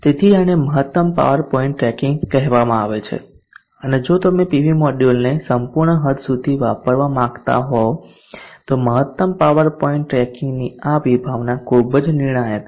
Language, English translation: Gujarati, So this is called maximum power point tracking and this concept of this maximum power point tracking is very crucial if you want to utilize the PV module tool it will just extend